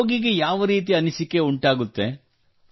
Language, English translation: Kannada, What feeling does the patient get